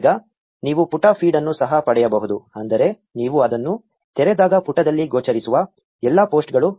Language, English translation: Kannada, Now you can also get the page feed meaning all the posts that appear on the page when you open it